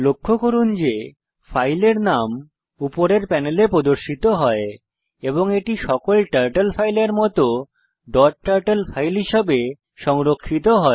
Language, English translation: Bengali, Notice that the name of the file appears in the top panel and it is saved as a dot turtle file like all Turtle files